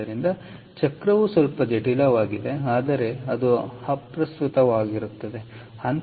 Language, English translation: Kannada, so cycle gets a little complicated, but that doesnt matter